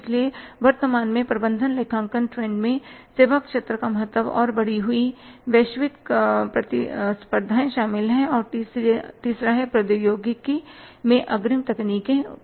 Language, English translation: Hindi, So, the current management accounting trends include the importance of services sector and the increased global competition and third one is the advance, advances in technology